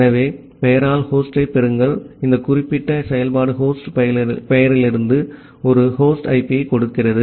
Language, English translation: Tamil, So, get host by name this particular function returned a host IP from the host name